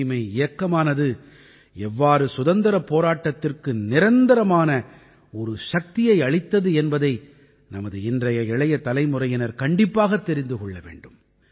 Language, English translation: Tamil, Our youth today must know how the campaign for cleanliness continuously gave energy to our freedom movement